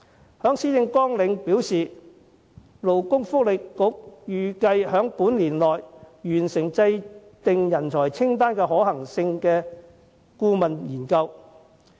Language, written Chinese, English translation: Cantonese, 特首在施政綱領表示，勞工及福利局預計將於年內完成制訂人才清單可行性的顧問研究。, The Chief Executive states in the policy agenda that the Labour and Welfare Bureau is expected to complete the consultancy study on the feasibility of compiling a talent list during the year